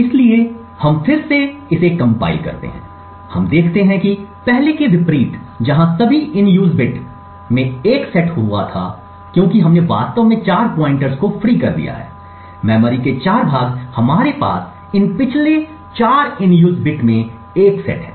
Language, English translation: Hindi, where all the in use bits were set to 1, here because we have actually freed 4 pointers, 4 chunks of memory we have 4 of these previous in use bits set to 1